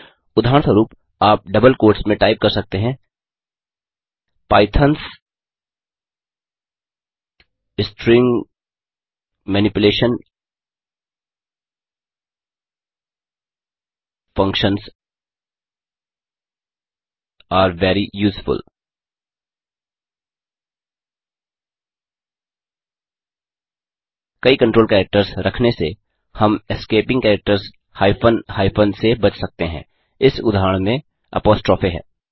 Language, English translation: Hindi, For example you can type in double quotes Pythons string manipulation functions are very useful By having multiple control characters, we avoid the need for escaping characters hyphen hyphen in this case the apostrophe